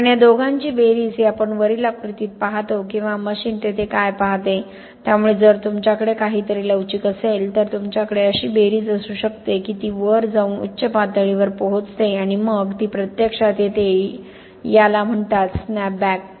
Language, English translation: Marathi, Because the sum of these two is what we see here or what the machine sees there okay, so if you have something very flexible, you could have the sum, such that it goes up reaches a peak and then it actually comes down this is called snapback okay this is what is called snapback